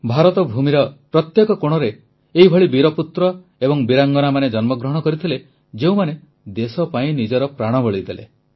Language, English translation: Odia, In every corner of this land, Bharatbhoomi, great sons and brave daughters were born who gave up their lives for the nation